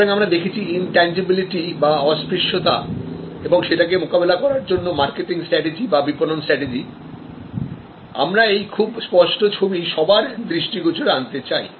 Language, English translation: Bengali, So, we have intangibility and we have discussed intangibility as our response as our marketing strategy in response to intangibility, we would like to highlight vivid tangible images